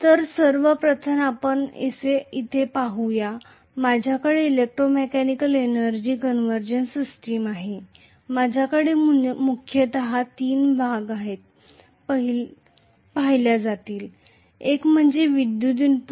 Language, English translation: Marathi, So let us say I have first of all in electromechanical energy conversion systems, right I am going to have mainly three portions being looked into, one is the electrical input